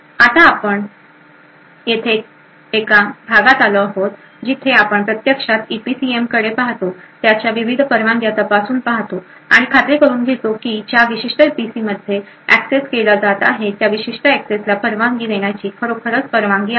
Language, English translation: Marathi, Now over here we is the part where we actually look into the EPCM check the various permissions and so on and ensure that this particular EPC where is going to be accessed has indeed the right permissions to permit that particular access